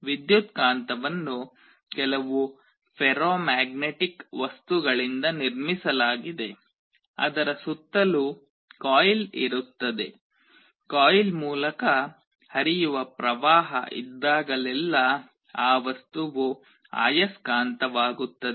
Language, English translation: Kannada, Electromagnet is constructed out of some ferromagnetic material with a coil around it; whenever there is a current flowing through the coil that material becomes a magnet